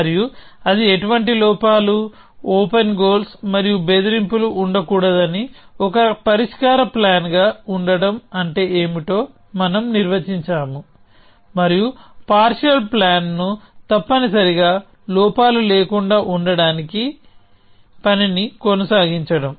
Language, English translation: Telugu, And we have defined what does it mean for it to be a solution plan that it should have no flaws, no open goals and no threats, and task is to keep refining a partial plan till it has no flaws essentially